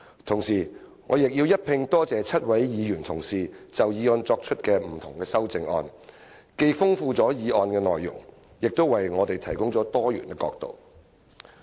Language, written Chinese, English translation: Cantonese, 同時，我亦要感謝7位議員同事就議案提出修正案，既豐富了議案的內容，亦為我們提供多元角度。, I would also like to thank the seven Honourable colleagues who have proposed amendments to this motion . Not only have they enriched the contents of this motion but they have also provided us with multiple perspectives